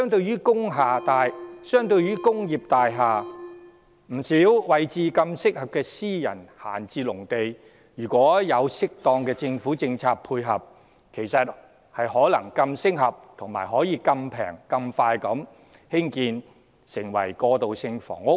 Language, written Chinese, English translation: Cantonese, 然而，相對於工業大廈，不少私人閒置農地位置更方便，如獲政府適當的政策配合，其實可以更適合、更便宜、更快供興建過渡性房屋。, That said comparing with industrial buildings many of the idle agricultural lands in private hands are more conveniently located . Backed by the right policies from the Government these lands could as a matter of fact be more suitable and more readily and cheaply available for transitional housing construction